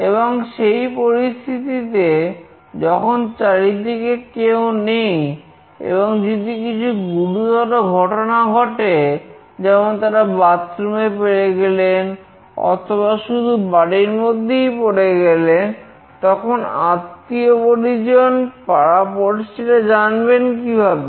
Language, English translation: Bengali, And under such condition, if nobody is around them and there is some serious issue like they fall down in bathroom or in house only, then how do their near ones will come to know